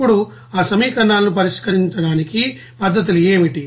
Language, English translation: Telugu, Now what are the techniques to solve that equations